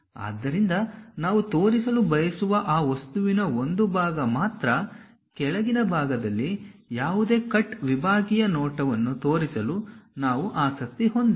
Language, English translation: Kannada, So, only part of that object we would like to really show; we are not interested about showing any cut sectional view at bottom portion